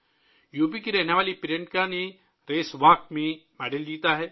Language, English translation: Urdu, Priyanka, a resident of UP, has won a medal in Race Walk